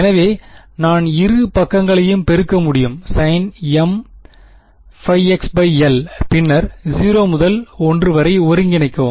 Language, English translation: Tamil, So, I can multiply both sides by sin m pi x by l and then integrate 0 to l right